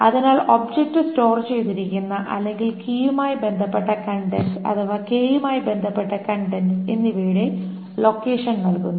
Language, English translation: Malayalam, So that gives a location where the object is stored or where the contents corresponding to the key, contents corresponding to k